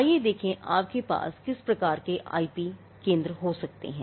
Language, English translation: Hindi, Now, let us look at the type of IP centres you can have